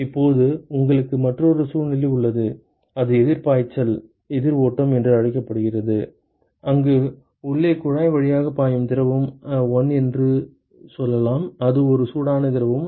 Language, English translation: Tamil, Now, you also have another situation was to have another situation, where it is called the counter flow counter current flow ok, where you have let us say fluid 1 which is flowing through the inside tube and it is a hot fluid